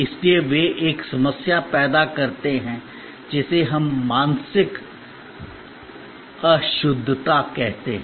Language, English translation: Hindi, So, therefore, they create a problem what we call mental impalpability